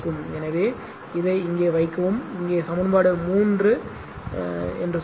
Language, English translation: Tamil, So, here you put this here you put this this is say equation three right